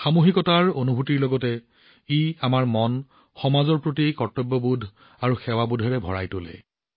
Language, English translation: Assamese, Along with the feeling of collectivity, it fills us with a sense of duty and service towards the society